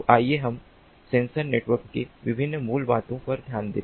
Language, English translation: Hindi, so let us look at the different basics of sensor networks